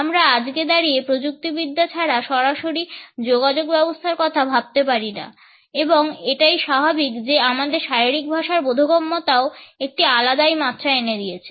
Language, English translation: Bengali, We cannot imagine any communication today, without any direct association with technology and it is only natural that our understanding of body language is also given an additional dimension